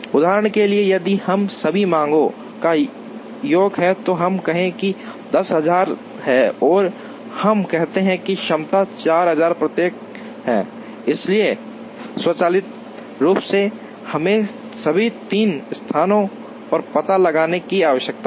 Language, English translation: Hindi, For example, if sum of all these demands, let us say is 10000 and let us say the capacities are 4000 each, so automatically we need to locate in all the three places